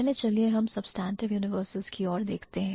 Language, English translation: Hindi, So, first let's look at the substantive universals